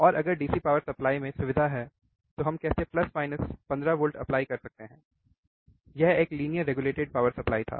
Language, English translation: Hindi, And how we can apply plus minus 15 volts if there is a facility within the DC power supply, it was a linear regulated power supply